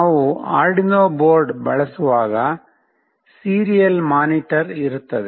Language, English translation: Kannada, When we are using Arduino board there is a serial monitor